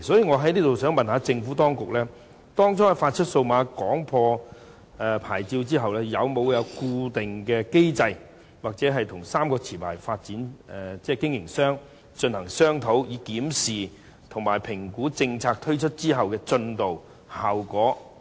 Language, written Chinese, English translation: Cantonese, 我想問局長，當局當初發出數碼廣播牌照後，有否設立固定機制或與3間持牌營辦商進行商討，以檢視及評估政策推出後的進度和效果？, I wish to ask the Secretary these questions . After the authorities first granted the DAB licences have they put in place any standing mechanism or discussed with the licensees so as to review and assess the progress and effectiveness of the policy after its implementation?